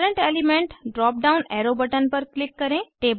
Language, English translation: Hindi, Click on Current element drop down arrow button